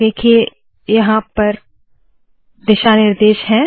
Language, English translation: Hindi, See the guidelines are here